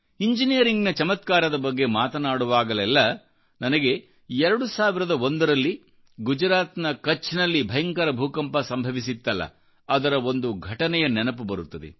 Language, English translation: Kannada, When I talk of wonders in the Engineering world, I am reminded of an incident of 2001 when a devastating earth quake hit Kutch in Gujarat